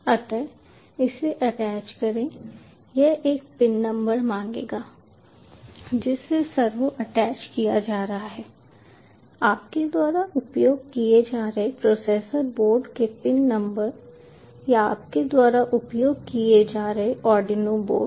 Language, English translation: Hindi, so within attach it would expect the pin number to which the servo is being attached, the pin number of the processor board your using or the arduino board you are using, so ones